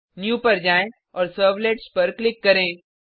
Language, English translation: Hindi, Go to New and click on Servlet